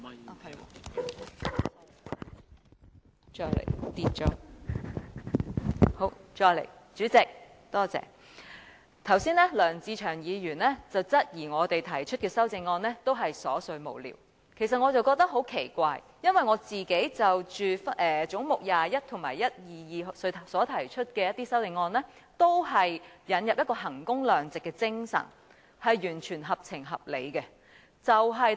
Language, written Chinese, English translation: Cantonese, 代理主席，梁志祥議員剛才質疑我們提出的修正案都是瑣碎無聊，其實我覺得很奇怪，因為我就總目21及122提出的修正案，都是引入衡工量值的精神，完全合情合理的。, Deputy Chairman Mr LEUNG Che - cheung queried just now that the amendments we put forth were all trivial and senseless . Actually I feel very surprised because all the amendments I moved in respect of heads 21 and 122 seek to introduce the spirit of value for money; they are entirely reasonable